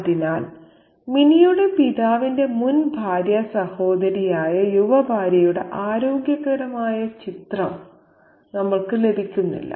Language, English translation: Malayalam, So, we do not get a wholesome picture of the young wife, the former sister in law of Minnie's father